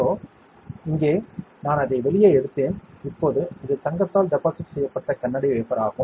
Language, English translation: Tamil, So, here I have taken it out; now, this is the glass wafer which is deposited with gold